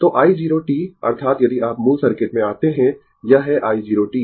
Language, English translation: Hindi, So, i 0 t that is your if you come to the original circuit, this is the i 0 t right